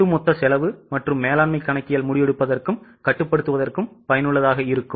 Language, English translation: Tamil, Overall cost and management accounting will be useful for both decision making as well as control